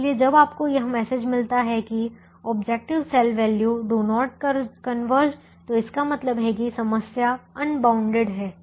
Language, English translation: Hindi, so when you get a message saying the objective cell values do not converge, it means that the problem is unbounded